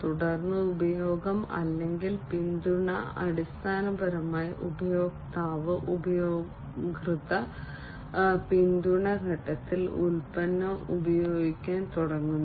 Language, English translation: Malayalam, And then use or support is basically the customer basically starts to use the product in the user support phase